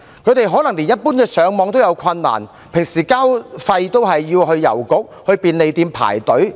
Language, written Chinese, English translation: Cantonese, 他們可能連一般的瀏覽互聯網也有困難，平時繳交費用也要到郵局和便利店排隊進行。, They may even have difficulties browsing the Internet in general and will queue up at post offices or convenient stores to make payments